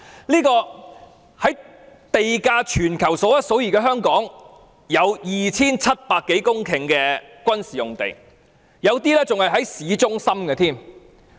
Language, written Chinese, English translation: Cantonese, 在地價處於全球數一數二的香港，有 2,700 多公頃的軍事用地，有一些更位處市中心。, In Hong Kong where property prices are among the highest in the world there are more than 2 700 hectares of military sites some of which are even situated in urban centres